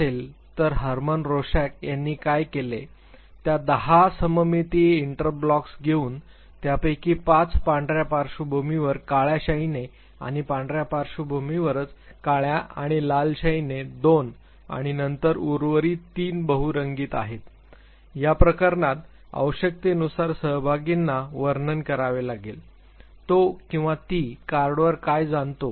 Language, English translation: Marathi, So, what Hermann Rorschac did he came forward with ten symmetric inkblots five of them in black ink on white background two in black and red ink on white background and then remaining three are multi colored in this case the requirement is at the participants has to describe what he or she perceives on the card